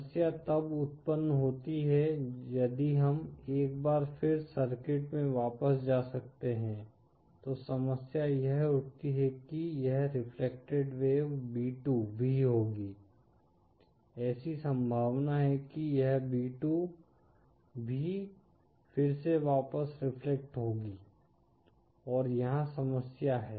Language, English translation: Hindi, Problem arises, if we can go back to the circuit once again, the problem arises that this reflected wave b2 will also, there’s a possibility that this b2 will also be reflected back again